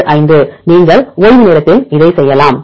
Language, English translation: Tamil, 685 you can work out in the free time